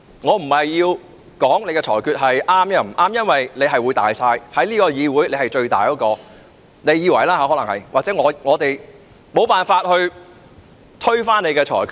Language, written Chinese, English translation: Cantonese, 我不是說你的裁決是錯或對，因為你在這個議會是至高無上的——你可能自以為如此——我們無法推翻你的裁決。, I am not saying your ruling is right or wrong for you are above all others in this Council―you probably think so yourself―and we are unable to reverse your ruling